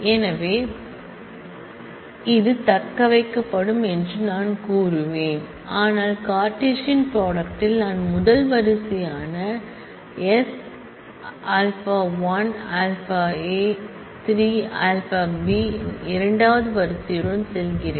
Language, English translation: Tamil, So, I will say this is this will get retained, but in the Cartesian product I will also have the first row of r going with the second row of s alpha 1 alpha A 3 A beta